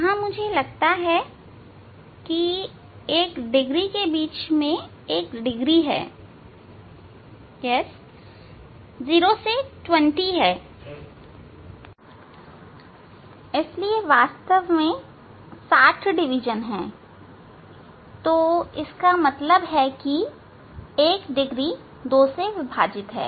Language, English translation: Hindi, Here, I think yes, 1 degree between, 1 degree, there are yeah 0 to 20, so actually 60 divisions are there, so that means, 1 degree is divided into 2